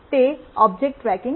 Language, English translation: Gujarati, Firstly, what is object tracking